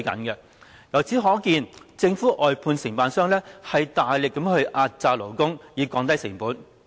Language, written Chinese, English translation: Cantonese, 由此可見，政府外判承辦商大力壓榨勞工以降低成本。, It can thus be seen that the Government service contractors oppress labour to reduce costs